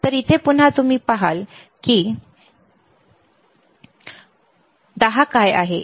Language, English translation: Marathi, So, here again you see here what is the 10